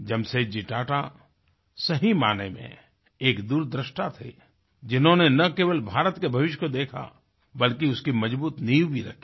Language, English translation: Hindi, Jamsetji Tata was a true visionary, who not only foresaw India's future, but also duly laid strong foundations